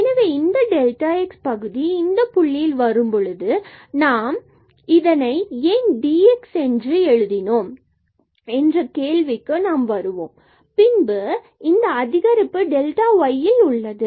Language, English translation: Tamil, So, this is delta x or dx term, we will come to this point why we have written this dx and then this is the increment in delta y